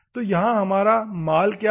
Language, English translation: Hindi, So, here, what is our goods